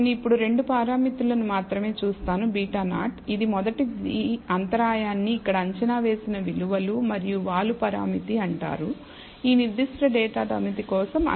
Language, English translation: Telugu, And I will only now look at 2 parameters the beta 0, which is the first the intercept is called the beta 0 estimated values here and the slope parameter the estimated values 15